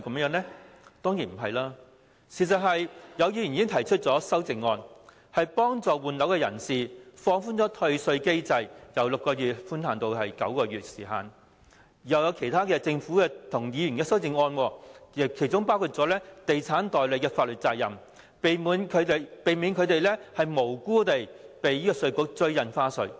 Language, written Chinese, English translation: Cantonese, 有議員已就《條例草案》提出修正案協助換樓人士，建議放寬退稅機制，將寬限期由6個月延長至9個月；另外政府和議員亦提出其他修正案，包括重新釐定地產代理的法律責任，避免他們無辜被稅務局追討印花稅。, In order to help people intending to replace their residential properties some Members have moved amendments to the Bill suggesting that the refund mechanism be relaxed by extending the grace period from six months to nine months . In addition the Government and some Members have also proposed other amendments including those redefining the legal responsibility of estate agents who would thus be spared from being innocently targeted by the Inland Revenue Department over the recovery of stamp duty